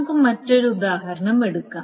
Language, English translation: Malayalam, Now let us take another example, which is the following